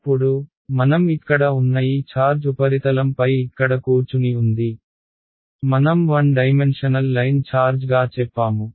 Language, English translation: Telugu, Now, this charge that I had over here the charge is sitting over here on the surface as I said as a one dimensional line charge that is the unknown